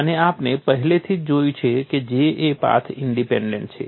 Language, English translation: Gujarati, And we have already seen that J is path independent